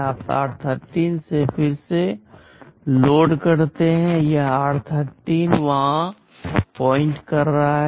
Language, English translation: Hindi, You load again from r13; this r13 is pointing there